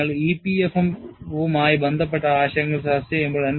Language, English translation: Malayalam, When you are discussing concepts related to EPFM